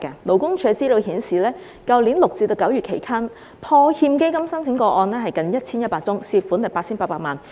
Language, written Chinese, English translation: Cantonese, 勞工處資料顯示，去年6月至9月期間，破欠基金申請個案近 1,100 宗，涉款 8,800 萬元。, Based on the information of the Labour Department there were nearly 1 100 applications for PWIF from June to September last year involving an amount of 88 million